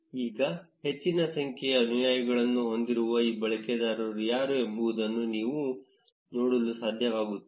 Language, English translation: Kannada, Now, you will be able to see which are these users which have a large number of followers